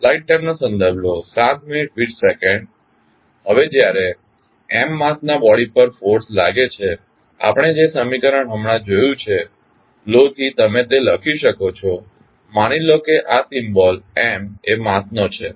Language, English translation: Gujarati, Now, when the force is acting on the body with mass M the equation which you can write for the law which we just saw is supposed this is the mass of symbol M